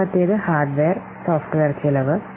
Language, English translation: Malayalam, So those costs, this is the hardware and software cost